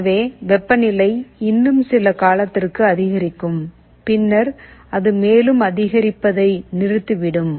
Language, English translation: Tamil, So, temperature will still increase for some time then it will stop increasing any further